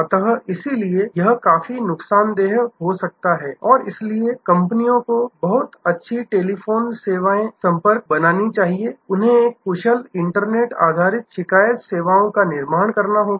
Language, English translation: Hindi, So, therefore, it can be quite damaging and so the companies must create a very good telephone contact services, they must create a very good web based complaining services